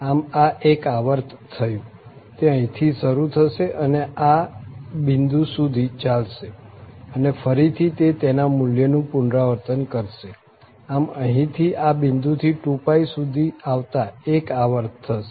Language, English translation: Gujarati, So, this is in one period the function starts from here and continue up to this point, and then it repeats its value, so from here to this point it is one period covering one period it is a 2 pi